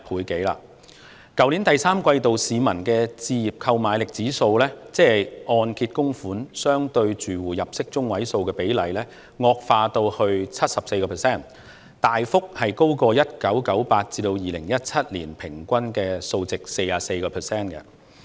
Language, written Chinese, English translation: Cantonese, 在去年第三季度，市民的置業購買力指數，即按揭供款相對住戶入息中位數的比例，惡化至 74%， 大幅高於1998年至2017年 44% 的平均數。, In the third quarter of last year the publics home purchase affordability ratio that is the ratio of mortgage payment to the median income of households deteriorated to 74 % much higher than the long - term average of 44 % over 1998 - 2017